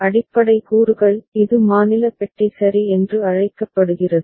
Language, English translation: Tamil, The basic components are: this is called state box ok